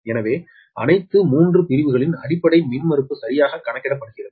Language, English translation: Tamil, so all the three sections ah, base impedance are computed right now